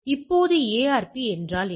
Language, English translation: Tamil, Now, what is this ARP